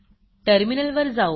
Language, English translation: Marathi, Let us go to the terminal